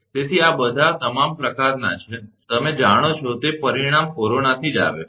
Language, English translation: Gujarati, So, these are these are all sort of, you know outcome from corona right